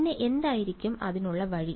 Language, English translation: Malayalam, And what would be the way to do it